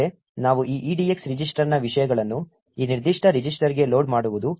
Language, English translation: Kannada, Next, what we do is load the contents of this EDX register into this particular register